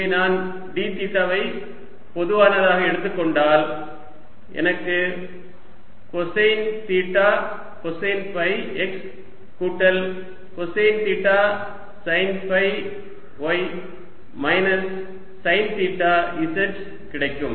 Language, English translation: Tamil, alright, and look at this term encircled in green and here here: if t take d theta common, i get cosine theta, cosine phi x plus cosine theta sine phi y, minus sine theta z